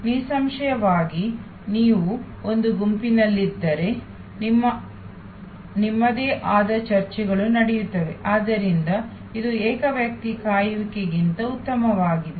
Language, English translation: Kannada, Obviously, if you are in a group, you have your own discussions going on, so it is much better than a solo wait